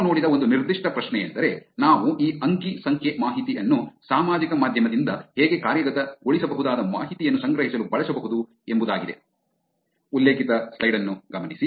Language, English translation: Kannada, A specific question that we saw was how we can actually use this data from social media to collect actionable information